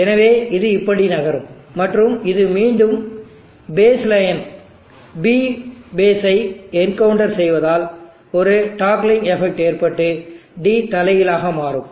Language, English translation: Tamil, So it will move like this and again the moment it encounters the base line P base there is a toggling effect D will reverse